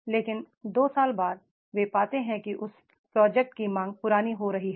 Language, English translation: Hindi, But after two years they find that is the demand of that project is becoming obsolete